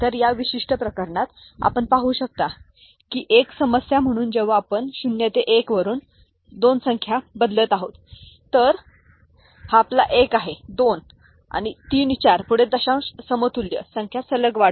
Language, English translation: Marathi, So, when we are changing the number from 0 to 1 to 2, so this is your 1, this is your 2, then 3, 4 so on and so forth the decimal equivalent the consecutive increase in the number